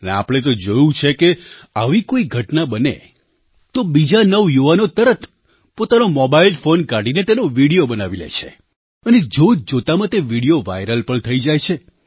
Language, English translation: Gujarati, And we have noticed; if such an incident takes place, the youth present around make a video of it on their mobile phones, which goes viral within no time